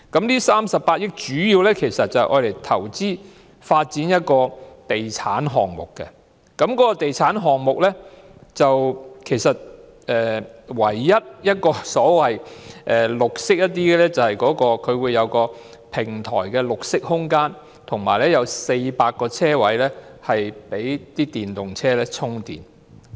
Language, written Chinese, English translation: Cantonese, 那38億元主要投資發展地產項目，該地產項目唯一與綠色有關的，就是平台設有一個綠色空間及設有400個供電動車充電的車位。, The 3.8 billion was mainly used to invest in a real estate development project in which the only relevance to green was the provision of a green space on the podium and 400 parking spaces equipped with charging outlets for electric vehicles